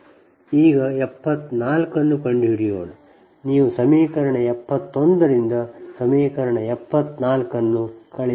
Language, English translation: Kannada, now you subtract equation seventy four from equation seventy one